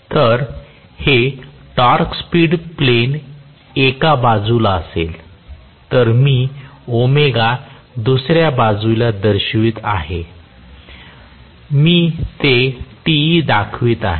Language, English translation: Marathi, If this is the torque speed plane on one side I am showing omega on other side I am showing Te